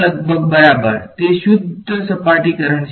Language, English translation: Gujarati, 0 almost right, it is a pure surface current